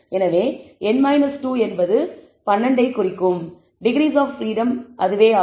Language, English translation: Tamil, So, n minus 2 is the degrees of freedom with represents 12